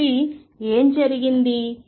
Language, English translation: Telugu, So, what is going on